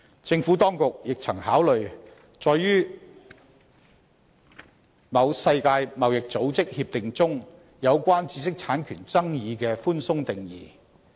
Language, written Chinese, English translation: Cantonese, 政府當局亦曾考慮載於某世界貿易組織協定中有關"知識產權"的寬鬆定義。, The Administration has also taken into account the broad definition of intellectual property under a World Trade Organization agreement